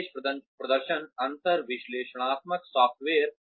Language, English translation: Hindi, Special performance gap analytical software